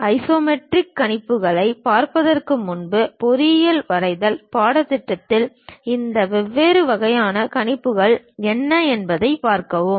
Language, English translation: Tamil, Before really looking at isometric projections, we will see what are these different kind of projections involved in engineering drawing course